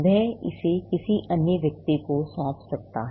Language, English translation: Hindi, He may assign it to another person